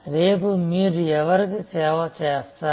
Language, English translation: Telugu, Whom will you serve tomorrow